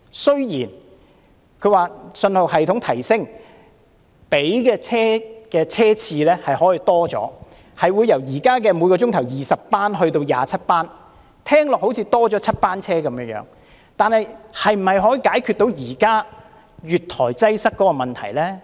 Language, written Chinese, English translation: Cantonese, 雖然說信號系統提升後可以增加車次，由現時每小時20班增至27班，聽起來好像增加了7班車，但這是否能解決現時月台擠塞的問題呢？, It is said that the number of train trips can be increased from the existing 20 trips per hour to 27 trips per hour after the upgrade of the signalling system . Though there appears to be seven more trips can it resolve the current problem of overcrowding on platforms? . Let us do a simple calculation then